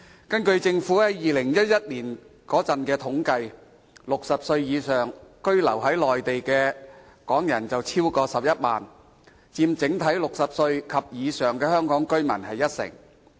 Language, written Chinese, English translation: Cantonese, 根據政府在2011年的統計 ，60 歲以上在內地居留的港人超過11萬人，佔整體60歲及以上的香港居民近一成。, According to the government statistics in 2011 over 110 000 Hong Kong people aged above 60 were residing in the Mainland accounting for nearly 10 % of the Hong Kong residents aged 60 and above